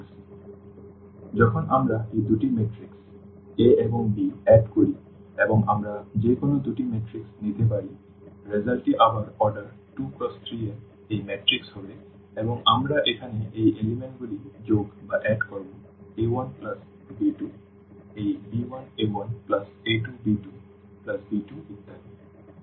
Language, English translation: Bengali, So, when we add these two matrix a and b and we can take any two matrices the result would be again this matrix of order 2 by 3 and we will be just adding these components here a 1 plus b 2 this b 1 a 1 plus a 2 b 1 plus b 2 and so on